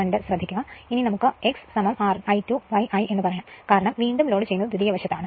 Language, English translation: Malayalam, So, now let us say x is equal to I 2 upon I because, we are doing on the secondary side because reload is placed on the your secondary side right